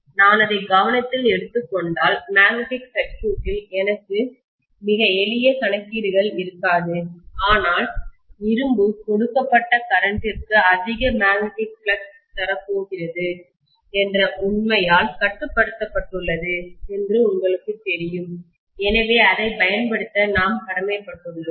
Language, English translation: Tamil, If I take that into consideration, I will not have very simple calculations in the magnetic circuit, but we are kind of you know constrained by the fact that iron is going to give me more magnetic flux for a given current, so we are bound to use that